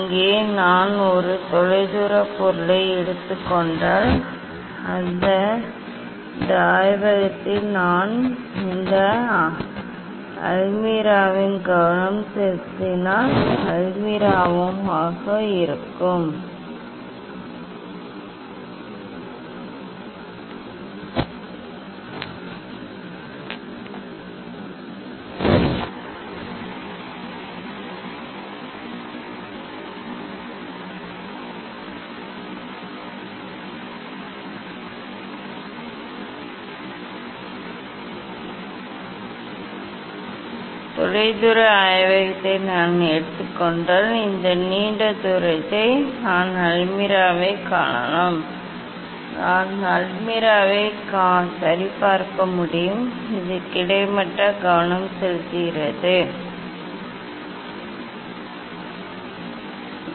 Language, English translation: Tamil, here if I take a distance object say, in this lab, if I take this the distance lab that is the almirah if I focus at this almirah, this long distance there I can see the almirah; I can see the almirah ok, it is a almost focused; almost focused